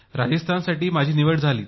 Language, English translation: Marathi, I got selected for Rajasthan